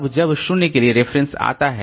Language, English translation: Hindi, Now there is a reference to 0